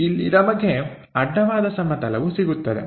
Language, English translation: Kannada, So, here we will have horizontal plane